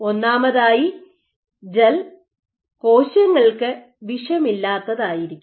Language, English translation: Malayalam, So, first and foremost the gel has to be non toxic to cells